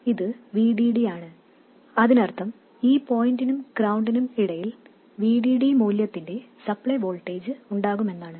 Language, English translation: Malayalam, And this is of course BDD which means that there will be a supply voltage of value VDD between that point and ground